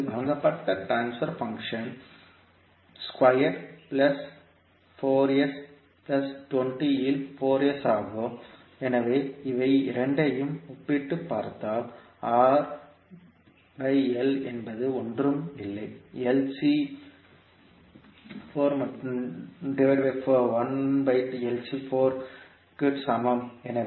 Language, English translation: Tamil, The transfer function which is given to us is 4s upon s square plus 4s plus 20, so if you compare both of them you can simply say that R by L is nothing but equal to 4 and 1 by LC is equal to 20